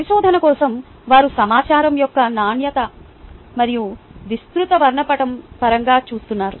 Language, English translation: Telugu, for research, they are looking in terms of quality and broad spectrum of information